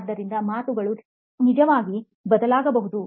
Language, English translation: Kannada, So the wording can actually change